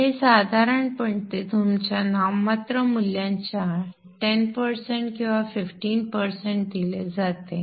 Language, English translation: Marathi, So this is generally given like 10% or 15% of your nominal value